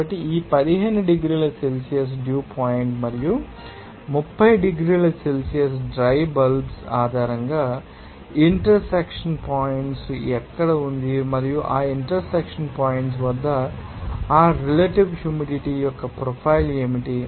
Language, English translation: Telugu, So, based on these 15 degrees Celsius dew point and 30 degrees Celsius dry bulb, where is the cross intersection point and at that intersection point, what would be the profile of that relative humidity